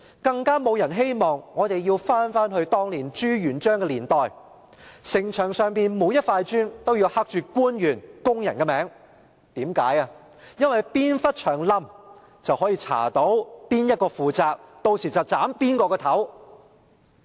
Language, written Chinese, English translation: Cantonese, 更沒有人希望我們要回到朱元璋的年代，城牆上每塊磚也要刻上官員和工人的名字，哪部分牆倒塌，便能調查到由誰負責，屆時便能砍誰的頭。, Neither do we wish to return to the era of ZHU Yuanzhang when every brick of the city wall must be inscribed with the name of the official and the worker in charge so that should any portion of the wall collapse those who were in charge would be identified and beheaded